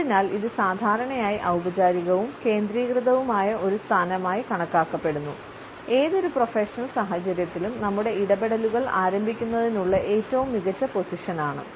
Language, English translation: Malayalam, And therefore, it is normally treated as a formal and focused position; the best one to initiate our interactions in any given professional situation